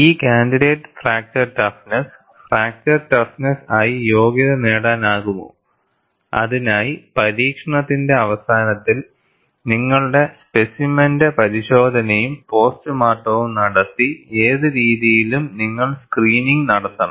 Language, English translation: Malayalam, Whether this candidate fracture toughness can be qualified as fracture toughness, you have to do the screening of whatever the way that you have conducted the test, and postmortem of your specimen at the end of the experiment